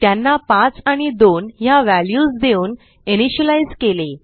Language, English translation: Marathi, And we have initialized them by assigning values as 5 and 2